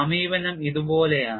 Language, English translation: Malayalam, And the approach is like this